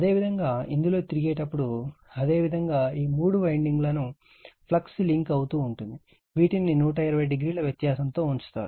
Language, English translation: Telugu, And when you revolve in this, your what we call that flux linking all these three windings, which are placed 120 degree apart